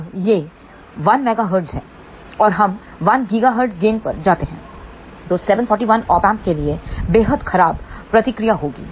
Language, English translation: Hindi, Now, this is 1 megahertz, if we go to 1 gigahertz gain response will be extremely poor for 741 Op Amp